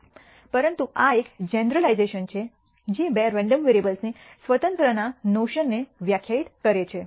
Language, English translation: Gujarati, But this is a generalization which defines the notion of independence of two random variables